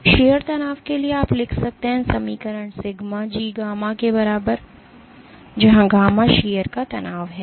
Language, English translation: Hindi, So, for sheer stress you can write down the equation sigma is equal to G gamma, where gamma is the shear strain